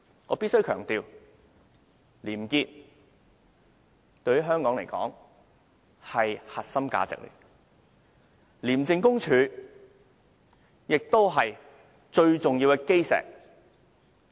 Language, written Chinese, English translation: Cantonese, 我必須強調，廉潔是香港的核心價值，廉署亦是香港最重要的基石。, I must emphasize that probity is Hong Kongs core value and ICAC is also Hong Kongs most important cornerstone